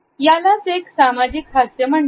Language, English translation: Marathi, This is known as a social smile